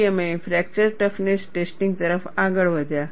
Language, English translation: Gujarati, Then we moved on to fracture toughness testing